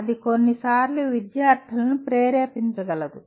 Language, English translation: Telugu, That itself can sometimes can be motivating to students